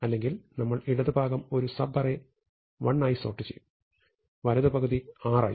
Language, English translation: Malayalam, Otherwise we will sort the left part into a sub array L